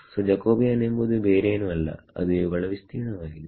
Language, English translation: Kannada, So, the Jacobian is nothing but the area of